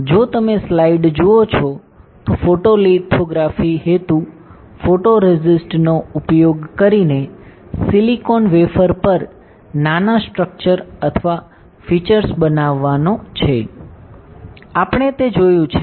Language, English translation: Gujarati, If you see the slide, the purpose of photolithography is to create small structures or features on a silicon wafer using photoresist, we have seen that right